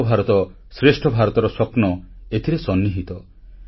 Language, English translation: Odia, The dream of "Ek Bharat Shreshtha Bharat" is inherent in this